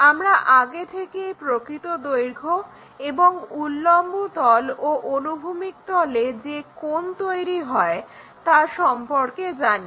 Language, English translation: Bengali, Somehow we already know that true length and angle made by the vertical plane, horizontal plane